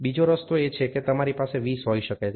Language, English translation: Gujarati, The other way round is you can have 20